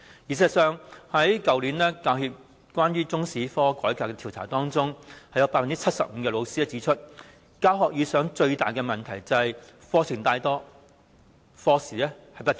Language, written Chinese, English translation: Cantonese, 事實上，去年教協就中史科改革進行調查，結果有 75% 的教師指出，在教學時遇到的最大問題就是課程太廣、課時不足。, In fact HKPTU conducted a survey of the reform of Chinese History last year . It was found that 75 % of the teachers considered that the greatest problem they encountered in teaching was that the curriculum was too broad while teaching hours was insufficient